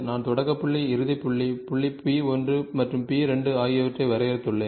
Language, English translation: Tamil, So, I have defined point start point, end point, point P 1 and P 2